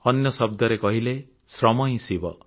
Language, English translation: Odia, In other words, labour, hard work is Shiva